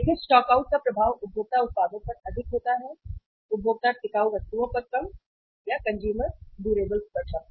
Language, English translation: Hindi, See the impact of stockouts is more on the consumer products, less on the consumer durables; less on the consumer durables